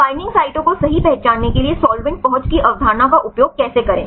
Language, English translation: Hindi, So, how to use the concept of solvent accessibility to identify the binding sites right